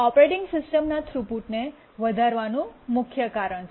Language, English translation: Gujarati, The main reason is to enhance the throughput of the operating system